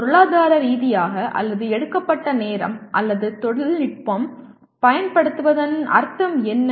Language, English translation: Tamil, What does it mean either economically or the time taken or the technology is used